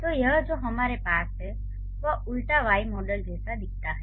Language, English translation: Hindi, So, this looks like the inverted Y model that we have